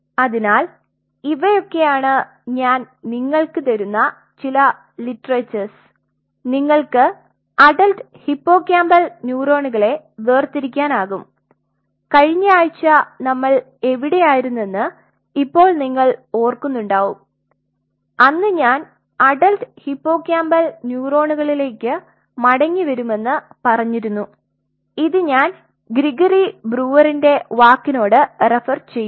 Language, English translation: Malayalam, So, these are some of the literatures I will be giving you, you can separate out the adult hippocampal neurons, now you remember where we left last week and I told you I will come back to that adult hippocampal neurons and this is where we will be referring to Brewer’s work Gregory, Brewer’s work this has been achieved for adult spinal cord neurons